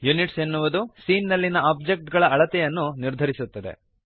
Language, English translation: Kannada, Units determines the scale of the objects in the scene